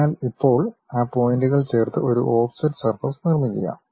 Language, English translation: Malayalam, So, now, join those points construct an offset surface